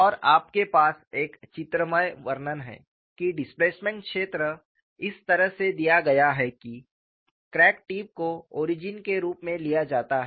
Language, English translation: Hindi, And you have a pictorial representation that the displacement field is given in such a manner that crack tip is taken as origin